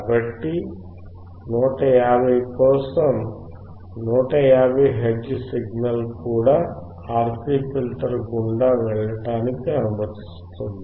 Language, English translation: Telugu, So, for 150 also, it is allowing 150 hertz signal to also pass through the RC filter